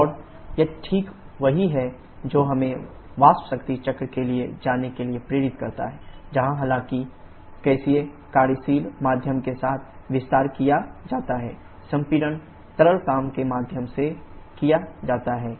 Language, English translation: Hindi, And that is precisely what motivates us to go for the vapour power cycle, where though the expansion is done with the gaseous working medium the compression is done with liquid working medium